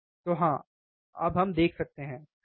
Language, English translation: Hindi, So, yes, now we can see, right